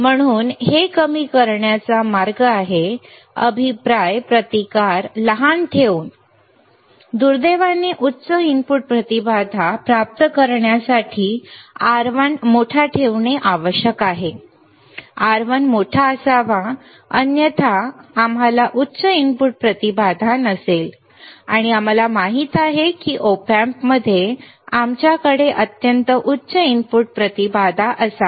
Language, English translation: Marathi, So, when the way to minimize this is by, is by keeping the feedback resistance small, unfortunately to obtain high input impedance R1 must be kept large right R1 should be large otherwise we will not have high input impedance and we know that in Op Amp we should have extremely high input impedance